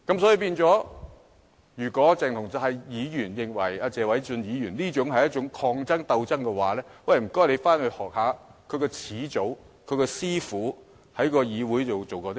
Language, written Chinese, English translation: Cantonese, 所以，如果鄭松泰議員認為謝偉俊議員這項議案是抗爭、鬥爭的話，那麼便請他回去學習一下他的始祖、他的師父在議會內做過甚麼。, Therefore if Dr CHENG Chung - tai thinks that this motion moved by Mr Paul TSE represents a kind of resistance or struggle I ask him to go back and learn about what his forerunner or his master did in the legislature